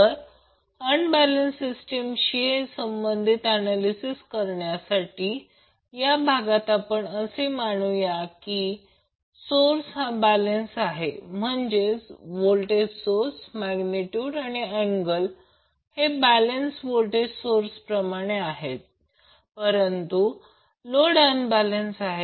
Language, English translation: Marathi, Now to simplify the analysis related to unbalanced system in this particular session we will assume that the source is balanced means the voltages, magnitude as well as angle are as per the balanced voltage source, but the load is unbalanced